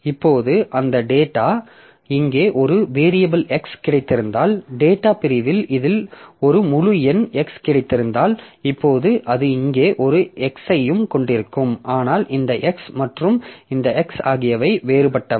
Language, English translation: Tamil, Now the data, so if I have got a variable x here, so if I have got an integer x in this program in the data segment, now it will also have an x here but these x and this x they are different